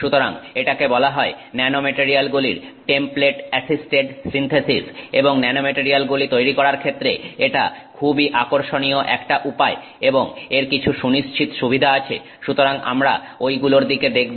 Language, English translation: Bengali, So, this is called the template assisted synthesis, template assisted synthesis of nanomaterials and it's a very interesting way of going about making nanomaterials and it has some distinct advantages so we will look at that